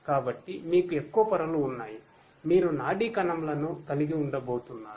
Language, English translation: Telugu, So, the more number of layers you have, the deeper structure you are going to have of the neural neurons